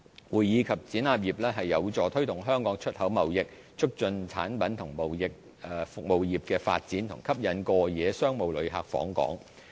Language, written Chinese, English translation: Cantonese, 會議及展覽業有助推動香港出口貿易，促進產品及服務業發展和吸引過夜商務旅客訪港。, The CE industry gives impetus to our exports trade facilitate the development of our products and services industry and attract overnight business visitors to Hong Kong